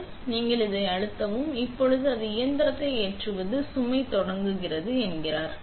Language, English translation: Tamil, Now, we press that and now it says watch out machine is starting load